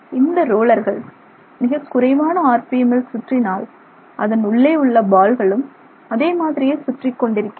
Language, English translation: Tamil, So, if the rollers roll in at low RPM, then the balls that are present inside they also just keep rolling